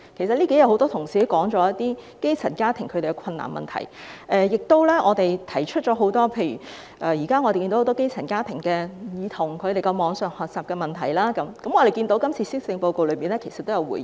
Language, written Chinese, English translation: Cantonese, 很多同事在這數天辯論中均提到基層家庭遇到的困難，我們亦提出了很多基層家庭遇到的不同問題，例如網上學習，我們看到今次施政報告也有回應。, During the debate in these few days many Honourable colleagues have spoken on the difficulties encountered by grass - roots families . We have also highlighted various problems confronted by many grass - roots families such as online learning . We noted that a response was made in this Policy Address